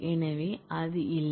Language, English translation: Tamil, So, that is not